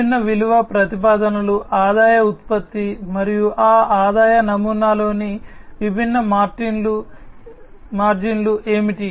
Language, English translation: Telugu, The different value propositions, the revenue generation, and what are the different margins in that revenue model